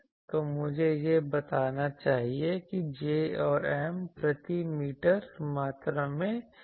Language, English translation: Hindi, So, let me say will J and M linear densities per meter quantities